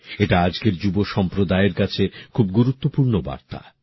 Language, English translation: Bengali, This is a significant message for today's youth